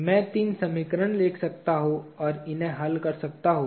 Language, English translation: Hindi, I can write the three equations and solve for these